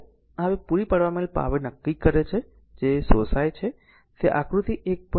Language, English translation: Gujarati, Now, this one now determine the power supplied that absorbed by is component in figure 1